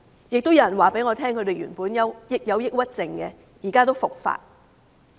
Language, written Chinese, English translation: Cantonese, 亦有人告訴我，他們曾患有抑鬱症，現在復發。, Some people also told me that they have suffered from depression before and now they have relapsed